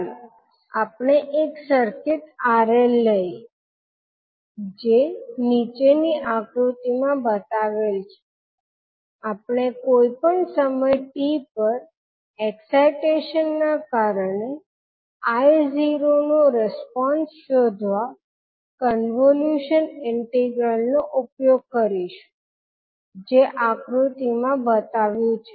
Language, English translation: Gujarati, So let us take one r l circuit which is shown in the figure below, we will use the convolution integral to find the response I naught at anytime t due to the excitation shown in the figure